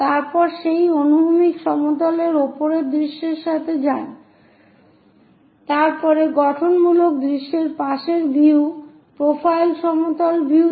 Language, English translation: Bengali, After that go with the top view on that horizontal plane, after that constructive view side view profile plane view